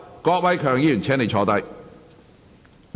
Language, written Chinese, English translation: Cantonese, 郭偉强議員，請坐下。, Mr KWOK Wai - keung please sit down